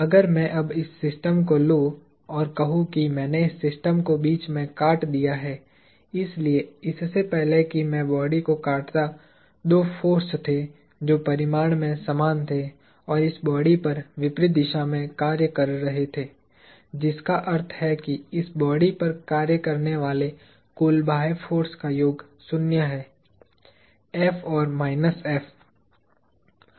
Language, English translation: Hindi, If I now took this system and let us say I cut this system in the middle; so, before I cut the block, there were two forces that were equal in magnitude and opposite in direction acting on this block; which means that, the sum total external force acting on this body is zero; F and minus F